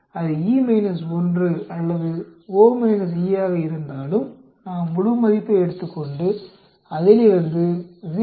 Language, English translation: Tamil, We take the absolute whether it is E minus 1 or O minus E, subtract 0